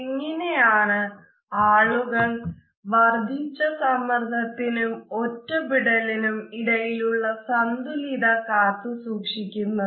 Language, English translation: Malayalam, So, how do people kind of maintain this balance between crowding stress on the one hand and feeling isolated on the other